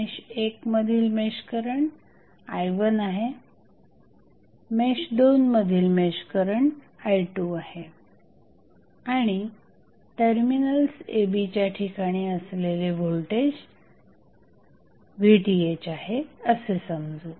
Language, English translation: Marathi, So, let us say I1 is the mesh current in mesh 1, I2 is the mesh current in mesh 2 and voltage across terminals AB is Vth